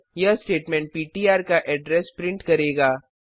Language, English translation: Hindi, This statement will print the address of ptr